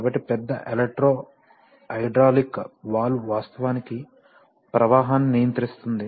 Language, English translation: Telugu, So see that big electro hydraulic valve actually, may be controls the flow